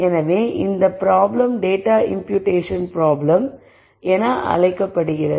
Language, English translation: Tamil, So this problem is called the data imputation problem